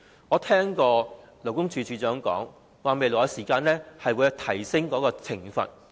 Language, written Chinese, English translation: Cantonese, 我聽到勞工處處長提及，將會提高罰則。, I heard the Commissioner for Labour suggest raising the penalty in future